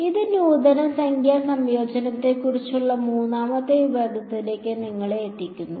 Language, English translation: Malayalam, That bring us to the third section on advanced Numerical Integration